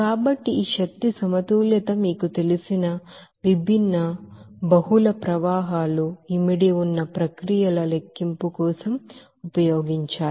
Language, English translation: Telugu, So this energy balance is to be used for the calculation of different you know, processes where multiple streams are involved in there